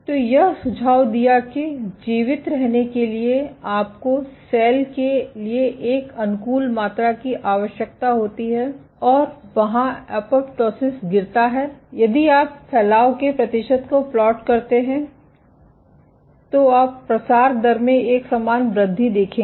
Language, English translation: Hindi, So, this suggested that you need an optimal amount of size for a cell to survive, and as they was a dropping apoptosis if you plot the percentage proliferation, you would see a corresponding increase in the proliferation rate ok